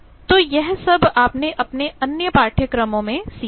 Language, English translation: Hindi, So, all these you have learnt in your other courses